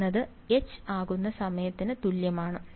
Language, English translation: Malayalam, r is equal to a times H becomes